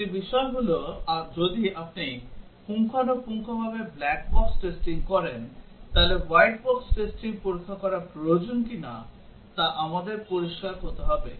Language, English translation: Bengali, One thing is we have to be clear whether white box testing is necessary if you are doing adequate black box testing